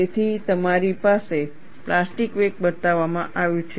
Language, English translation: Gujarati, So, you have the plastic wake shown